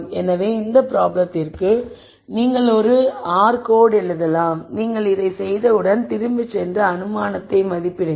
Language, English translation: Tamil, So, in this case for this problem you might write an r code and then once you are done with this then you go back and assess the assumption